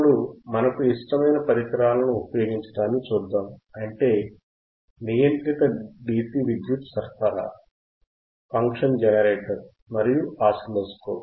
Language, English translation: Telugu, Now, let us see using our favourite equipment, that is the DC regulated power supply in a regulated power supply, function generator and the oscilloscope